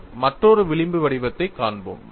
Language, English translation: Tamil, We would see another fringe pattern